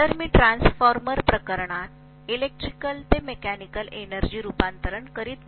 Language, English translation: Marathi, So I am not doing electrical to mechanical energy conversion in the transformer case